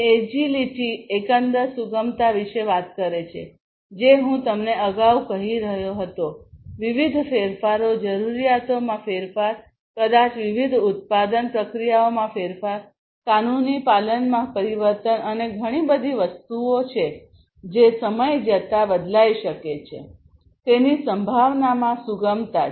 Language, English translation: Gujarati, Agility talks about overall flexibility which I was telling you earlier, flexibility in terms of incorporating different changes, changes in requirements, maybe, changes in the different production processes, changes in the legal compliance, and there are so, many different things that might change over time and in being able to incorporate it flexibly is what agility talks about